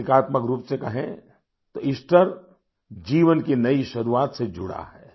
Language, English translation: Hindi, Symbolically, Easter is associated with the new beginning of life